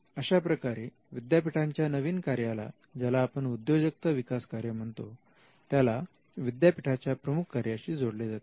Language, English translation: Marathi, So, this is how the new function of a university what we call the entrepreneurial function is tied to one of its existing primary functions